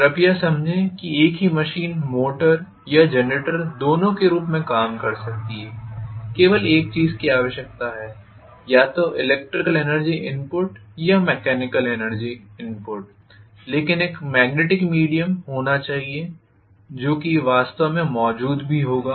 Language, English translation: Hindi, Please understand that the same machine can work either as a motor or as a generator, only thing it requires is either electrical energy input or mechanical energy input but there should be a magnetic via media which will also be present for sure